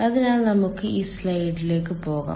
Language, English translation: Malayalam, so let us go to this slide